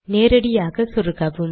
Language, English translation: Tamil, Insert it directly